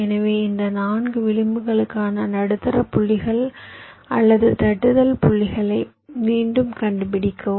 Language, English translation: Tamil, so again find out the middle points or the tapping points for these four edges